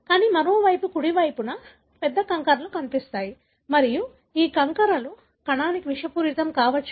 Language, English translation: Telugu, But on the other hand, on the right side, you see that there are large aggregates that are seen and these aggregates can be toxic to the cell